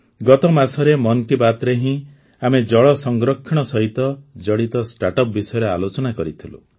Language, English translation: Odia, Last month in 'Mann Ki Baat', we had discussed about startups associated with water conservation